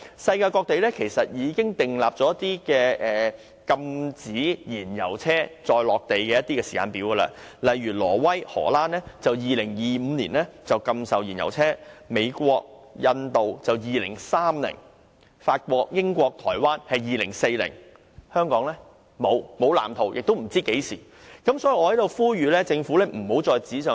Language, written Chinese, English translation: Cantonese, 世界各地已訂出禁售燃油車的時間表，例如挪威和荷蘭將在2025年禁售燃油車；美國和印度將在2030年禁售，而法國、英國和台灣將在2040年禁售，但香港卻沒有任何藍圖，大家亦不知道將會何時推行。, Various places in the world have already set a timetable for banning the sale of fuel - engined vehicles . For example Norway and the Netherlands will ban the sale of fuel - engined vehicles by 2025; the United States and India will ban their sale by 2030; and in France the United Kingdom and Taiwan the sale of such vehicles will be prohibited in 2040 . But in the case of Hong Kong no blueprint has been formulated and people do not know when such a ban will be implemented